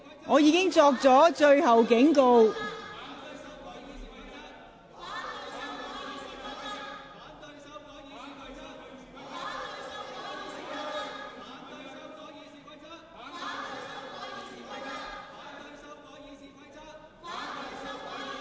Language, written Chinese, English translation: Cantonese, 我已作出最後警告。, I have issued my last warning